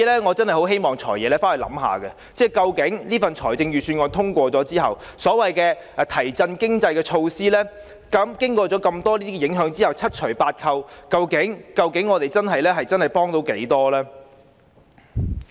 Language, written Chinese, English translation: Cantonese, 我真的希望"財爺"回去想想，究竟這份預算案在通過後，那些所謂提振經濟的措施，經過上述各項影響，在七除八扣後，究竟能幫助市民多少呢？, I really hope that the Financial Secretary after the passage of the Budget will ponder upon to what extent the initiatives to revive the economy can help members of the public taking into account the impacts of the aforesaid events